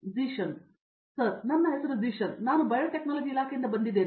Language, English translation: Kannada, Sir my name is Zeeshan, I am from Department of Biotechnology